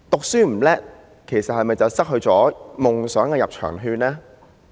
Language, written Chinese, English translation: Cantonese, 書讀不好，是否便失去了追求夢想的入場券呢？, Does it mean one will lose his admission ticket for the pursuit of dreams if his academic performance is poor?